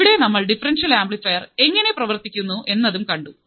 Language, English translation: Malayalam, And we have also seen how the differential amplifier works